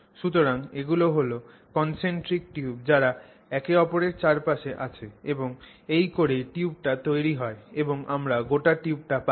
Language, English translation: Bengali, So these are concentric tubes that are around each other and that's how the tube is built and you get the overall tube